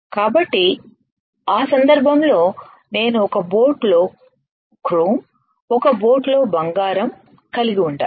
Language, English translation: Telugu, So, in that case I had to have chrome in one boat gold in one boat